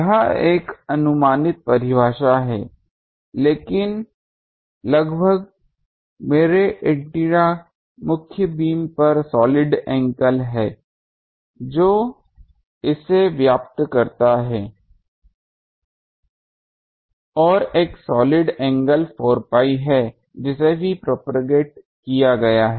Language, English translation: Hindi, This is an approximate definition, but approximately my antennas main beam the solid angle it occupies, if I that is in the denominator and 4 pi is the solid angle occupied by the also propagated